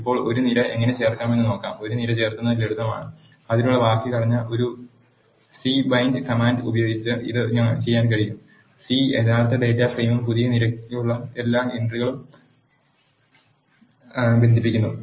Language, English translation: Malayalam, Now, let us see how to add a column; adding a column is simple this can be done using a c bind command the syntax for that is c bind the original data frame and the entries for the new column